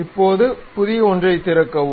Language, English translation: Tamil, Now, open a new one